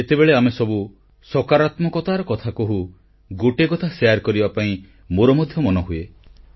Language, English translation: Odia, When we all talk of positivity, I also feel like sharing one experience